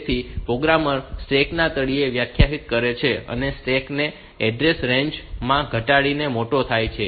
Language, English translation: Gujarati, So, programmer defines the bottom of the stack and stack grows up reducing the in the into reducing address range